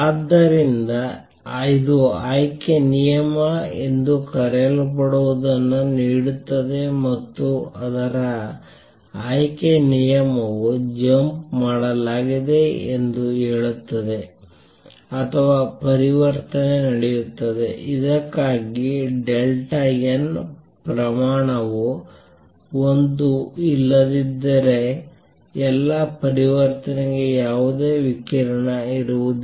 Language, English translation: Kannada, So, this gives what is called a selection rule and that says selection rule says that the jump is made or the transition takes place for which delta n magnitude is one; otherwise for all of the transition there will be no radiation